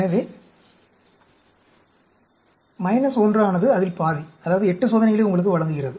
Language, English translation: Tamil, So, the minus 1 gives you half of that, 8 experiments